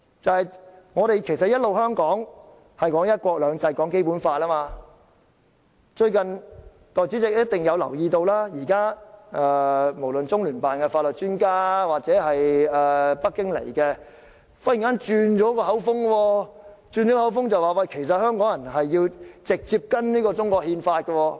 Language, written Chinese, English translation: Cantonese, 香港一直以來都強調"一國兩制"、《基本法》，但代理主席想必亦會留意到，現在無論是中聯辦的法律專家，抑或北京訪港的官員，都忽然"轉口風"，表示香港人其實應該直接遵守中國憲法。, Hong Kong has always emphasized one country two systems and the Basic Law but the Deputy President must have noticed that the legal experts from the Liaison Office of the Central Peoples Government in the HKSAR and officials from Beijing visiting Hong Kong have suddenly changed their tunes and said that Hong Kong people should directly comply with the Chinese constitution